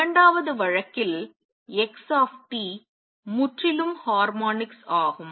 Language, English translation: Tamil, In the second case x t is purely harmonics